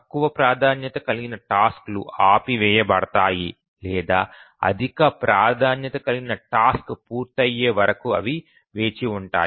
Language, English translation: Telugu, The lower priority tasks are preempted or they just keep on waiting until the higher priority task completes